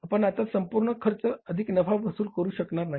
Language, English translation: Marathi, We cannot recover the full cost plus profit